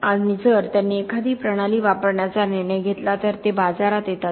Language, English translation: Marathi, And if they make a decision to use a system, they it comes to the market